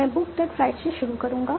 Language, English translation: Hindi, I will start with book that flight